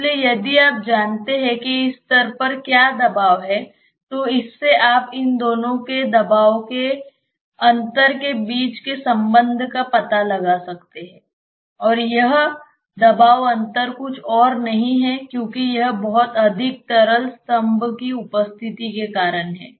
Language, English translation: Hindi, So, if you know, what is the pressure at this level then from that you can find out the relationship between the pressure difference of these two and that pressure difference is nothing but because of the presence of this much of liquid column